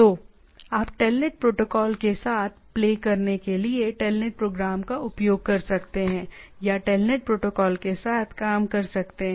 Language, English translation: Hindi, So, you can use telnet program to play with TELNET protocol right, or to work with the TELNET protocol